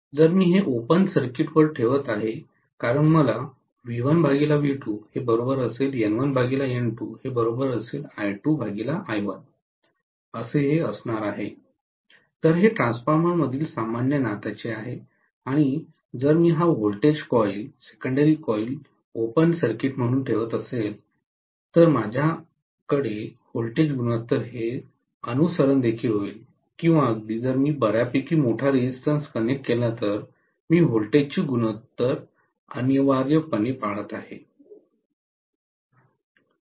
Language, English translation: Marathi, If I am keeping this on open circuit because I am going to have V1 by V2 equal to N1 by N2 equal to I2 by I1, this is the normal relationship in a transformer and if I am keeping this voltage coil the secondary coil as an open circuit then I will have the voltage ratio also being followed or even if I connect the fairly larger resistance I am going to have essentially the voltage ratio being followed